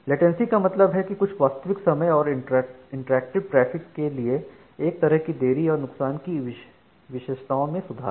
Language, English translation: Hindi, Latency means one way delay required by some real time and interactive traffic and improve loss characteristics